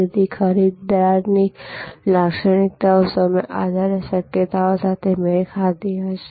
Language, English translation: Gujarati, So, buyer characteristics will be the matched with the time based possibilities